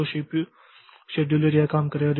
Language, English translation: Hindi, So, the CPU scheduler will do this thing